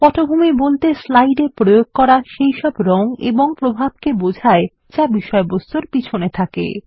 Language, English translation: Bengali, Background refers to all the colors and effects applied to the slide, which are present behind the content